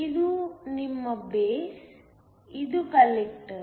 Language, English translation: Kannada, This is your base, that is the collector